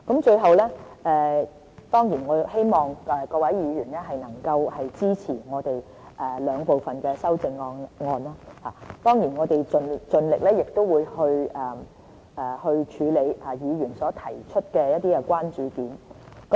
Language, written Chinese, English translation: Cantonese, 最後，我希望各位議員能夠支持我們兩部分的修正案，我們也會盡力去處理議員所提出的關注點。, We wish to achieve a broader consensus on this subject . At last I hope Members can support both groups of our amendments . We will make efforts to deal with the issues of concern brought up by Members